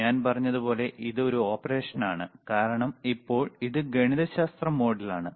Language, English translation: Malayalam, This is the operation, like I said it is an operation, because now is the right now it is in mathematical mode